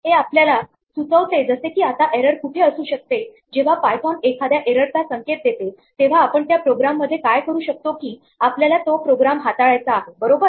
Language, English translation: Marathi, This gives us some hint as to where the error might be now when, such an error is signaled by python what we would like to do is from within our program handle it right